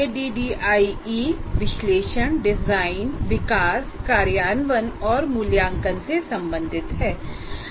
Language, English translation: Hindi, Adi refers to analysis, design, development, implement and evaluate